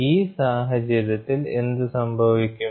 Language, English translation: Malayalam, So, in this case what happens